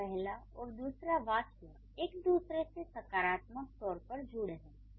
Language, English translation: Hindi, So, that means the first and the second they are positively connected with each other